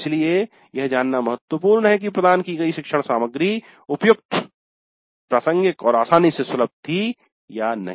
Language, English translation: Hindi, So, it is important to know whether the learning material provided was relevant and easily accessible